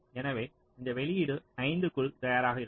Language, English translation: Tamil, so this output will be ready by five